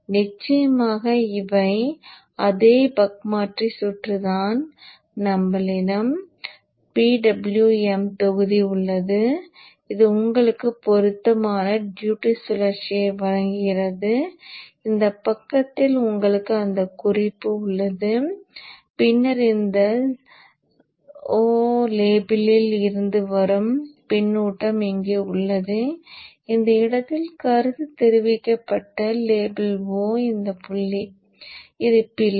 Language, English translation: Tamil, You have the PWM block here which is giving you the proper duty cycle and on this side you have that reference and then you have the feedback coming from this O label here O label which is connected at this point